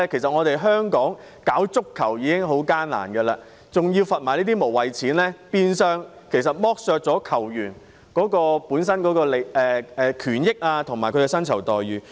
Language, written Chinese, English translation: Cantonese, 在香港推廣足球已經很艱難，還要被罰這些無謂錢，變相剝削球員本身的權益和薪酬待遇。, As it is already very difficult to promote football in Hong Kong the rights interests and remunerations of football players will be virtually jeopardized if HKFA is fined for pointless reasons